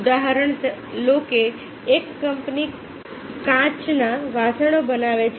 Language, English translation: Gujarati, take example, a company manufactures glassware